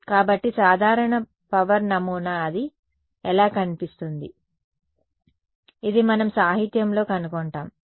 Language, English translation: Telugu, So, typical power pattern how does it look like, this is what we will find in the literature